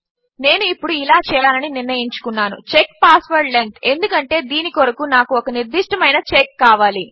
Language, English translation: Telugu, Now I have decided to do this check password length because I want a specific check for this